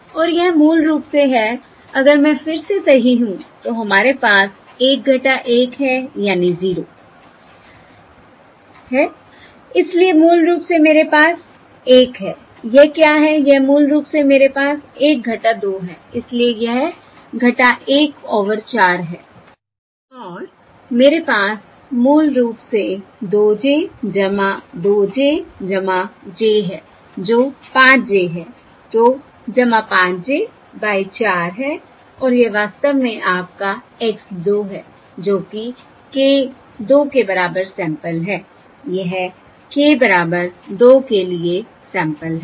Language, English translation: Hindi, Um, I have a 1 minus 2, so this is minus 1 over 4, and I have well, basically I have 2 j plus 2, j plus j, that is 5 j, So plus 5 by 4, divided by j, and this is in fact your x 2, that is, sample corresponding to k equal to Sample, for k equal to this is the sample corresponding to k equal to 2